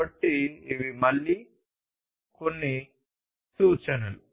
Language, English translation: Telugu, So, these are again some of the references